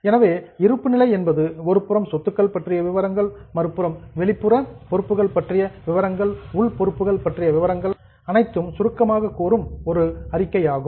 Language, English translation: Tamil, So, balance sheet is a statement which summarizes asset on one side and external and internal liabilities on the other side